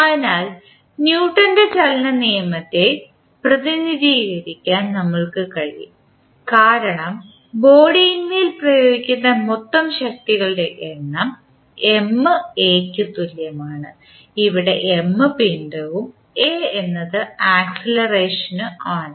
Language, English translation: Malayalam, So, we can represent the Newton’s law of motion as we say that the total sum of forces applied on the body equal to M into a, where M is the mass and a is the acceleration which is in the direction considered